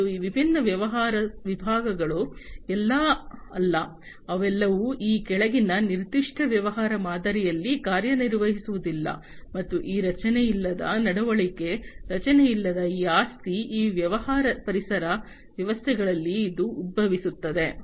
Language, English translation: Kannada, And these different business segments are not all, they do not all function in the following a particular business model and because of which this unstructured behavior, this property of unstructuredness, this arises in these business ecosystems